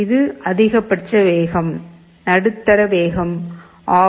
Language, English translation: Tamil, This is maximum speed, medium speed, off